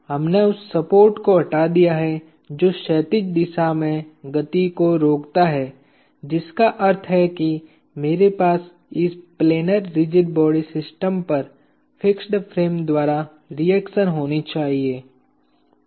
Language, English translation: Hindi, We have removed the support that restrains motion in the horizontal direction which means I should have a reaction from the fixed frame on to this system of planar rigid bodies